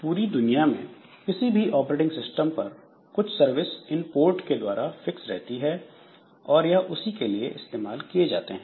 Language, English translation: Hindi, So, across any operating system, so there is some worldwide fixed services for these ports and they are fixed for that purpose only